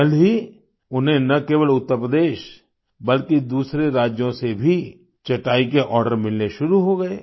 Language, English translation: Hindi, Soon, they started getting orders for their mats not only from Uttar Pradesh, but also from other states